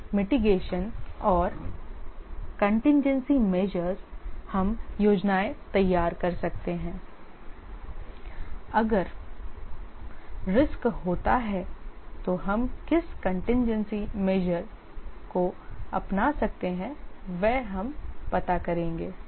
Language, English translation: Hindi, Risk mitigation and contingency measures we might prepare plans if risk happens what contingency measures we can take